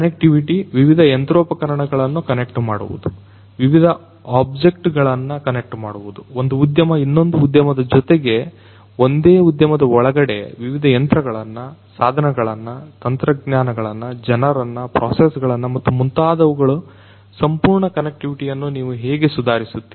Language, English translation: Kannada, Connectivity – connecting the different machinery, connecting the different objects, one industry with another industry within a particular industry connecting different different machines, tools, technologies, people processes and so on full connectivity how you can improve the connectivity